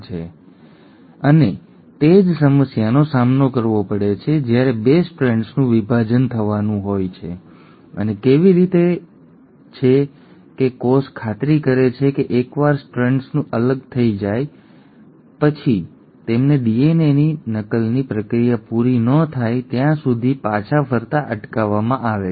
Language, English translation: Gujarati, Now the same thing, and same problem one encounters when there is going to be the separation of the 2 strands and how is it that the cell makes sure that once the strands have segregated and separated, they are prevented from recoiling back till the process of DNA replication is over